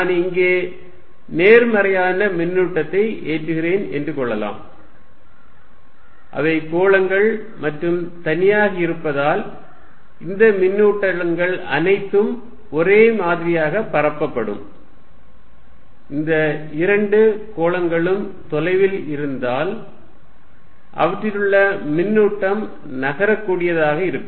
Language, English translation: Tamil, Let us say I put positive charge here, since they are spheres in isolation these charges you are going to be all uniformly distributed, if these two sphere is far away, necessarily charge on them is movable